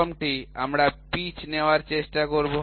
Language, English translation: Bengali, First one we will try to take pitch